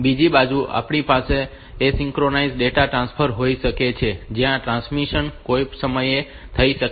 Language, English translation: Gujarati, On the other hand we can have asynchronous data transfer where the transmission can occur at any point of time